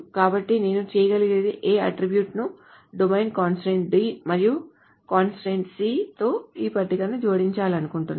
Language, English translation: Telugu, So I want to add attribute A with domain constraint D and constraint C to this table